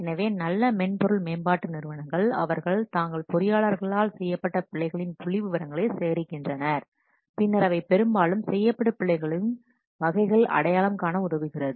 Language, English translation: Tamil, So the good software development companies, they collect the statistics of errors which are committed by their engineers and then they identify the types of errors most frequently committed